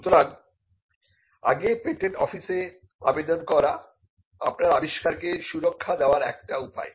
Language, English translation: Bengali, So, filing an application before the patent office is a way to protect your invention